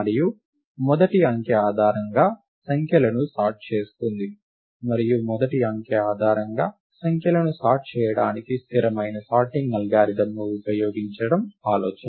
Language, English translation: Telugu, And the idea is to sort the numbers based on the first digit and use a stable sorting algorithm to sort the numbers based on the first digit